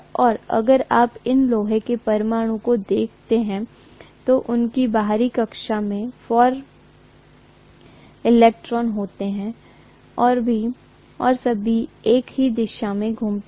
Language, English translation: Hindi, And if you look at these iron atoms, they have 4 electrons in their outermost orbit and all the 4 electrons seem to spin along the same direction for whatever reasons